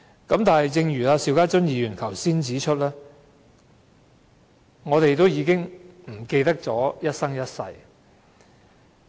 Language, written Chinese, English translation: Cantonese, 不過，正如邵家臻議員剛才指出，我們已經忘記何謂一生一世。, Nonetheless as pointed out by Mr SHIU Ka - chun just now we have forgotten what it means by a lifetime